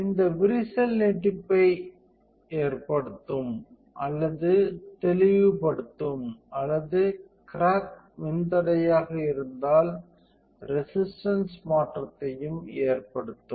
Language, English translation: Tamil, This crack will cause or clear extension or a crack will also cause the change in the resistance if it is a resistor